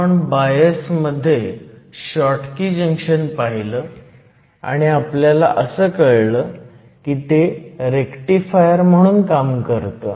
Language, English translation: Marathi, We also looked at the Schottky junction under bias and found that it behaves as a rectifier